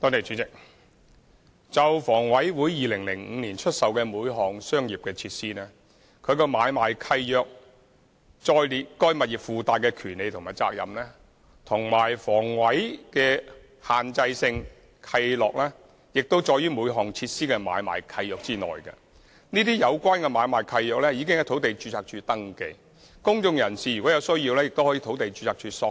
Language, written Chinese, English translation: Cantonese, 主席，就房委會在2005年出售每項商業設施時，均在相關的買賣契約，載列了該物業的附帶權利和責任，而房委會的限制性契諾亦載於每項設施的買賣契約中，相關買賣契約已在土地註冊處登記，公眾人士如有需要，亦可向土地註冊處索取。, President when divesting commercial facilities in 2005 HA incorporated certain rights and obligations in the assignment deeds of each divested property and the respective assignment deeds contain HAs restrictive covenants . The assignment deeds are registered at the Land Registry . If necessary members of the public can request the relevant information from the Land Registry